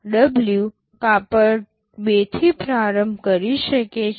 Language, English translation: Gujarati, W can start with cloth 2